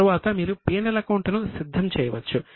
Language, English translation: Telugu, Later on you can prepare P&L account